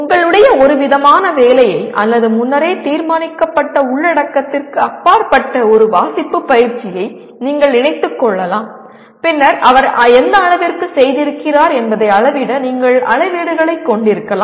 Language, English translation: Tamil, They can be, that I,s you can incorporate some kind of your assignment or a reading exercise that goes beyond the predetermined content and then you can have rubrics to measure that to what extent he has done